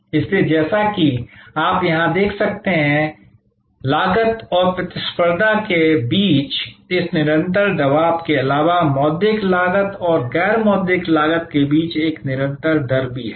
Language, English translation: Hindi, So, as you can see here, besides this constant pressure between cost and competition, there is also a constant rate of between monitory costs and non monitory costs